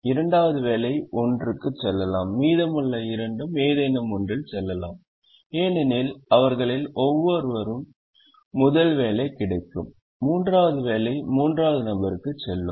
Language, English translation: Tamil, if it is a three by three problem, the second job will go to one, can go to any one of the remaining two, because one of them would get the first job and the third job will go to the third person